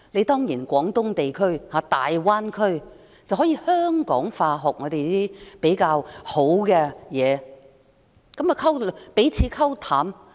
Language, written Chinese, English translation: Cantonese, 當然，廣東地區或大灣區也可以香港化，學習香港比較有優勢的東西，彼此"溝淡"。, Of course the Guangdong area or the Greater Bay Area can also go through Hongkongization to learn the strengths of Hong Kong . These processes will weaken the local characteristics of the two places